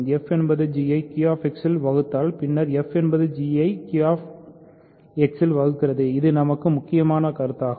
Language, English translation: Tamil, Then if f divides g in Q X then f divides g in Z X; this is the important proposition for us